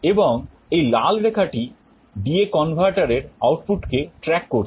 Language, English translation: Bengali, And this red one is the output of the D/A converter which is trying to track